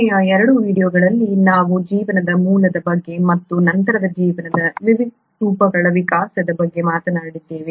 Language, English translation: Kannada, In the last 2 videos we did talk about the origin of life and then the evolution different forms of life